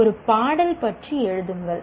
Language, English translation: Tamil, Compose a song about